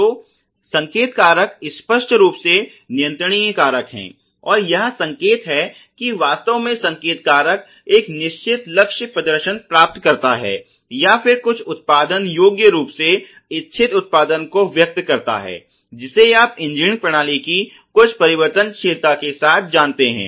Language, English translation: Hindi, So, the signal factors obviously are the controllable factors right type and the intent that the signal factor really has is to attain a certain target performance or to express the intended output in some measurable form you know with some variability of an engineered system